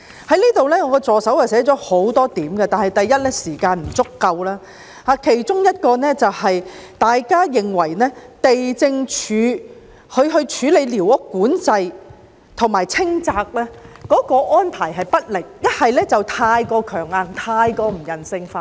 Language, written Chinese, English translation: Cantonese, 我助手撰寫的講稿提到很多點，但我的發言時間不足；其中有一點，就是地政總署處理寮屋管制及清拆安排不力，是太強硬、太不人性化。, There are many points written in the speech prepared by my personal assistant but my speaking time is not enough to cover all of them . One of them is that the Lands Departments way of managing and controlling squatter structures as well as its demolition arrangement are too ineffective too rigid and too inhumane